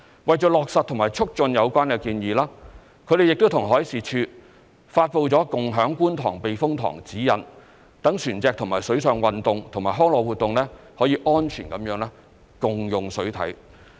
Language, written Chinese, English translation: Cantonese, 為落實和促進有關建議，他們亦與海事處發布了《共享觀塘避風塘指引》，讓船隻與水上運動及康樂活動安全地共用水體。, To implement or take forward the proposal they and the Marine Department have issued the Guidelines for Co - using Kwun Tong Typhoon Shelter so as to facilitate the safe co - use of water body by vessels as well as water sports and recreational activities